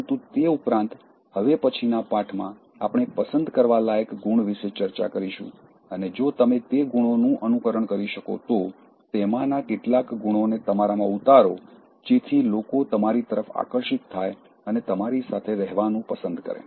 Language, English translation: Gujarati, But in addition to that, in the next lesson, we are going to discuss about likeable traits, and if you are able to emulate those traits, inculcate some of those characteristics in you, so, there is nothing like people gravitating towards you and liking to be in your company